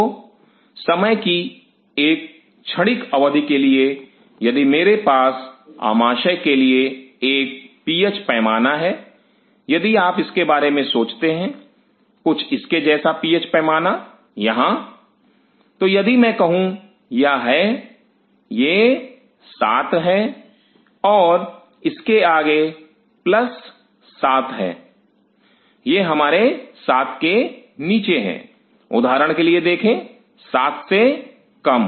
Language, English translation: Hindi, So, for transient period of time if I have a PH scale out in the stomach, if you think of it, something like PH scale here, so, if I say these are this is 7 and this is plus 7 onward; these are my below 7, see for example, less than 7